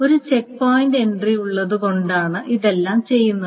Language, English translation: Malayalam, This is all done just because there is a checkpoint entry